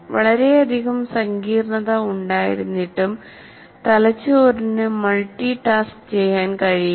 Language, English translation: Malayalam, In spite of its great complexity, brain cannot multitask